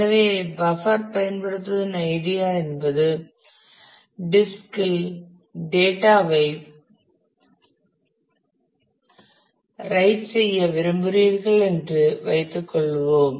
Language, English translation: Tamil, So, idea of the buffer is suppose you want to write some data to the disk